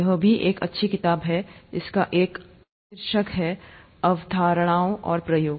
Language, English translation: Hindi, This is also a nice book; it has a subtitle ‘Concepts and Experiments’